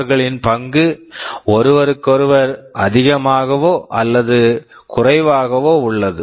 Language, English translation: Tamil, Their role is more or less independent of each other